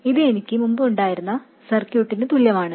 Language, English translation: Malayalam, This is exactly the same as the circuit I had before